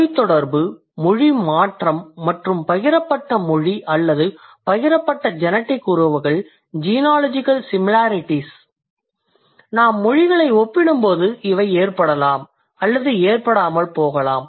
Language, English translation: Tamil, So, the language contact, language change and then the sharing language or sharing genetic relationships, genealogical similarities, they may or may not occur when we compare the languages